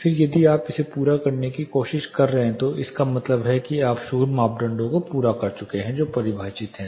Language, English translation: Hindi, Then if you are trying to meet this then it means you have met the noise criteria which is defined